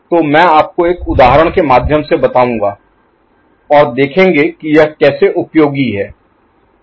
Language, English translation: Hindi, So, I shall take you through an example and see how it is useful